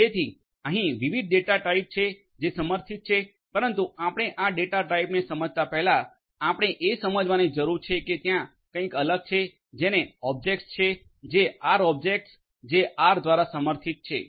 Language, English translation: Gujarati, So, there are different data types that are supported, but before we understand these data types, we need to understand that there are different something called objects, R objects that are supported by R